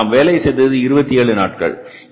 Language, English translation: Tamil, But we have worked for 27 days